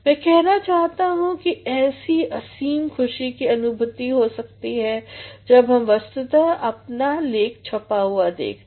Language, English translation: Hindi, " I mean such a sort of joy can be there when we actually see our writing in print